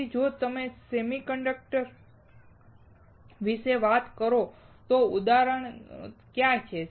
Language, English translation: Gujarati, So, if you talk about the semiconductors, what are examples